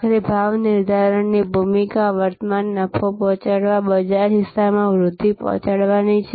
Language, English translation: Gujarati, But, ultimately the role of pricing is to deliver current profit, deliver growth in market share